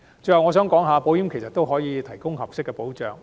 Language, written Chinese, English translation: Cantonese, 最後，我想指出其實保險也能提供合適保障。, Lastly I wish to point out that insurance can also afford appropriate protection